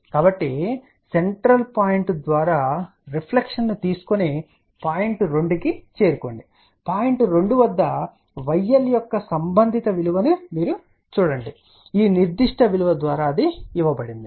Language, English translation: Telugu, So, take a reflection through the central point reach to point 2, at point 2 read the corresponding value of y L which is given by this particular value here